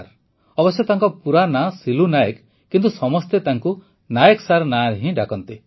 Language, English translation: Odia, Although his name is Silu Nayak, everyone addresses him as Nayak Sir